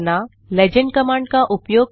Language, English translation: Hindi, Use the legend command